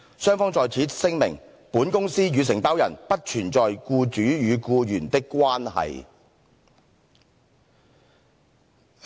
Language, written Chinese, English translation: Cantonese, 雙方在此聲明，本公司()與承包人不存在僱主與僱員的關係。, Both Parties hereby declare that the Company and the Contractor are not in an employer - employee relationship